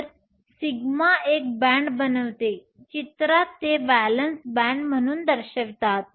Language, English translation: Marathi, So, sigma forms a band; in pictorially represent this as the valence band